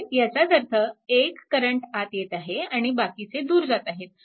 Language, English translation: Marathi, So; that means, one current is entering other are leaving